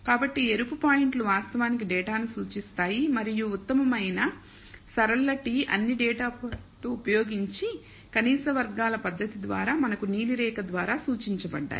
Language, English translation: Telugu, So, the red points actually represents the data and the best, the linear t, using the method of least squares using all the data points we got something that is indicated by the blue line